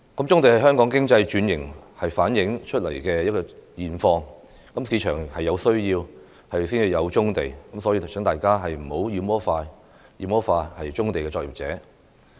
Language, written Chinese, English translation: Cantonese, 棕地是香港經濟轉型衍生出來的現況，市場有需要才有棕地，所以請大家不要妖魔化棕地作業者。, Brownfield sites are the products of economic restructuring in Hong Kong . They exist because there is such a need in the market so please do not demonize brownfield operators